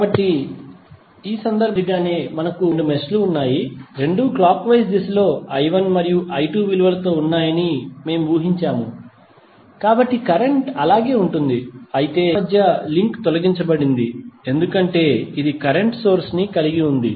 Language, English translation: Telugu, So, like in this case we have two meshes we have assumed that both are in the clockwise direction with i 1 and i 2 values, so current will remains same but the link between these two meshes have been removed because it was containing the current source